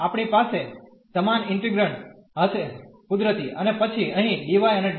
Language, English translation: Gujarati, We are going to have the same integrand naturally and then here dy and dx